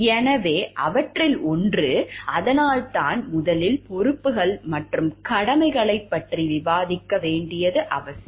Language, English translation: Tamil, So, one of them, that is why is important to discuss about the responsibilities and duties at first